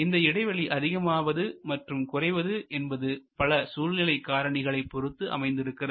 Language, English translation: Tamil, And that whether the gap will be small or larger will depend on what are the contextual factors